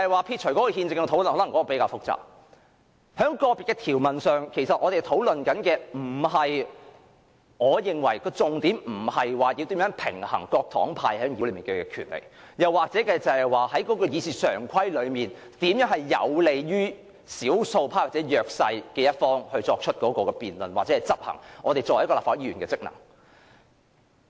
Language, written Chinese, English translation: Cantonese, 撇除憲政的討論——因為這一點較為複雜——在個別條文上，我認為我們的討論重點，並非如何平衡各黨派在議會內的權力，又或是如何使會議常規有利於少數派或弱勢一方作出辯論或執行立法會議員的職能。, The discussion about constitutionality aside―because this point is more complicated―the focus of our discussion on individual provisions in my view is not how to strike a balance of power among various political parties and groupings in the Council or how to make the standing orders favourable for the minority or the weaker side to debate or perform their functions as Members